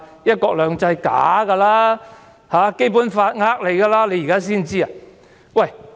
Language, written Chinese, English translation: Cantonese, "一國兩制"是虛假的，《基本法》只是騙人的。, The idea of one country two systems is a fake; and the Basic Law a sham